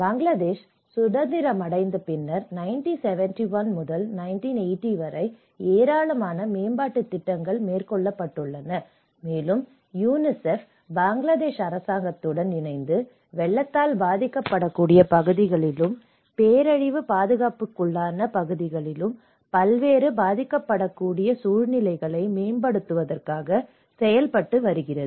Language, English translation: Tamil, And this Bangladesh after becoming independent from 1971 and till 1980’s, a lot of development programs has been worked, and UNICEF has been working with the Bangladesh government sector in order to promote various vulnerable situations in the flood prone areas and as well as the disaster affected areas, and one of the major concern here is the water and the drinking water risks